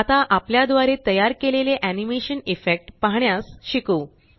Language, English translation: Marathi, Let us now learn to view the animation effects we have made